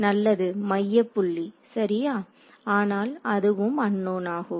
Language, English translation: Tamil, Well centre point ok, but that is also an unknown